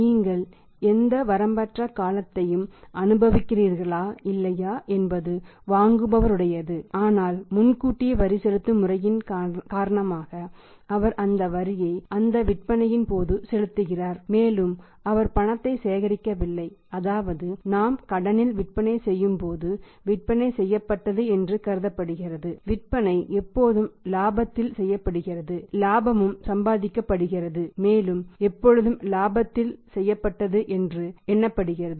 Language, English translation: Tamil, It is up to the buyer whether you also enjoy any unlimited period or not but because of the advance tax payment system he is paying that tax on the point of sales on those sales also which he has not collected in cash it means when we are selling on credit it is assumed that the sales are made when the sale are made sales are always made on profit, profit is also earned and the part of that profit has to be paid to the government as a tax